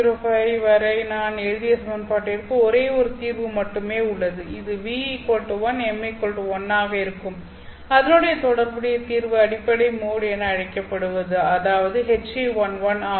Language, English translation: Tamil, 405 the equation that we have written has only one solution which will be for new equal to 1 m equal to 1 and the corresponding solution is the so called fundamental mode which is H